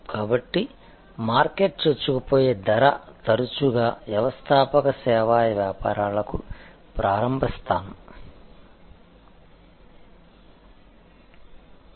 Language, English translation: Telugu, So, market penetration pricing often the starting point for entrepreneur service businesses